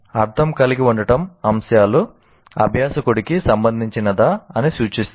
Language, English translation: Telugu, So having meaning refers to whether the items are relevant to the learner